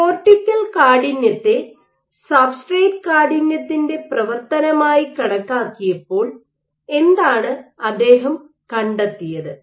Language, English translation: Malayalam, Now, what he found he measured the cortical stiffness as a function of substrate stiffness and what he found